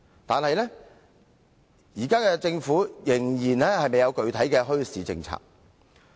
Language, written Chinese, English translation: Cantonese, 然而，現時政府仍然未有具體的墟市政策。, However the Government has yet to formulate a specific policy on bazaars